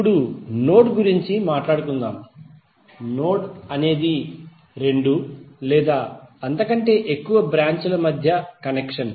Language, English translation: Telugu, Now let us talk about node, node is the point of connection between two or more branches